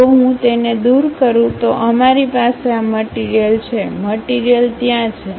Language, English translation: Gujarati, If I remove that, we have this material, material is there